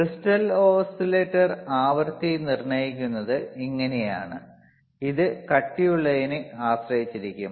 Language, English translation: Malayalam, So, this is how the crystal frequency crystal oscillator frequency is determined and it has to depend on the thickness